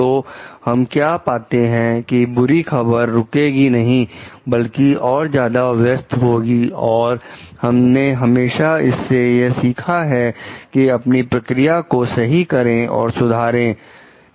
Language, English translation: Hindi, So, what we find bad news will not be repressed rather to be expressed and we can always learn from it to correct and improve on our processes